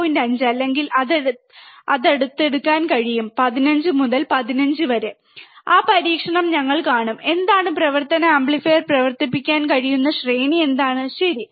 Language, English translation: Malayalam, 5 or close to 15, we will see that experiment also that what is the range, what is the range of the operational amplifier that can work on, alright